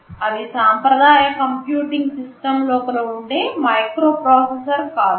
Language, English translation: Telugu, Well it is not a microprocessor sitting inside a traditional computing system